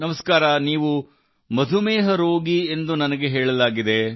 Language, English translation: Kannada, Well, I have been told that you are a diabetic patient